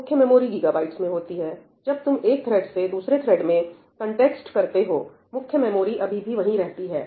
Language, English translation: Hindi, Main memory is in gigabytes; when you switch the context from one thread to another, the main memory is still there, right